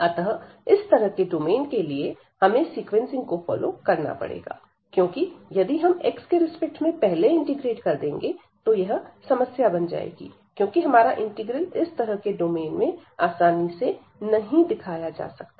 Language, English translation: Hindi, So, for such domain naturally we will follow the sequencing because if we go the other way round that first we integrate with respect to x, then there will be a problem, because we do not have a such a nice representation of this whole integral so or whole domain here